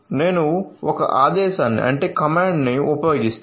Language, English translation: Telugu, So, I will use some command